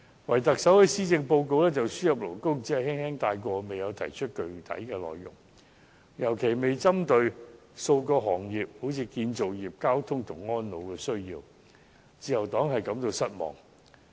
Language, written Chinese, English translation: Cantonese, 可是，特首在施政報告中，對輸入外勞問題只是輕輕帶過，未有提出具體內容，更沒有特別針對建造業、運輸業和安老服務等的需要，自由黨對此感到失望。, Yet the Chief Executive has just slightly mentioned about the problem of importation of labour in the Policy Address without any specific details nor has it targeted any specific needs of the industries such as construction transportation and elderly care . The Liberal Party is disappointed with this